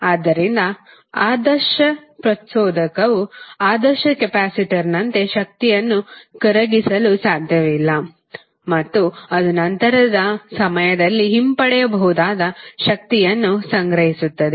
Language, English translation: Kannada, Therefore, the ideal inductor, like an ideal capacitor cannot decapitate energy and it will store energy which can be retrieve at later time